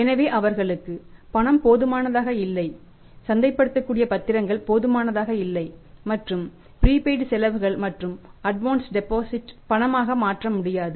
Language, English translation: Tamil, So, for them up the cash is not sufficient marketable securities are not sufficient and say prepaid expenses and advanced deposits are not convertible into cash